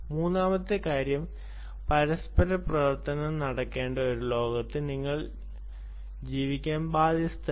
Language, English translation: Malayalam, the third thing is: you are bound to live in a world where there has to be interoperability